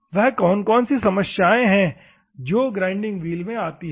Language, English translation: Hindi, What are the problems that are faced in the grinding wheel